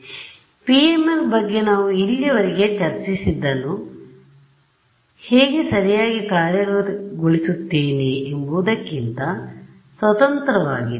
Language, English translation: Kannada, So, what we have discussed about PML so far is independent of how I will implement it right